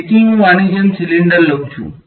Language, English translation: Gujarati, So, I take a cylinder like this ok